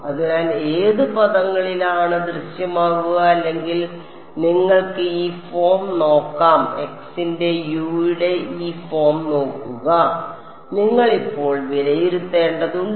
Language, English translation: Malayalam, So, which all terms will appear in U prime or you can look at this form look at this form of U of x now you have to evaluate U prime of x